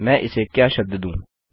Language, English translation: Hindi, How can I word it